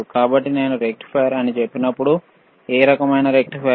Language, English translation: Telugu, So, when I say rectifier, we are using rectifier what kind of rectifier what kind rectifier